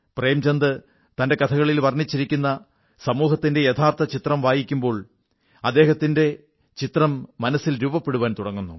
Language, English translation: Malayalam, Images of the stark social realities that Premchand has portrayed in his stories vividly start forming in one's mind when you read them